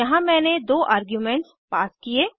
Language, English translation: Hindi, We have passed two arguements here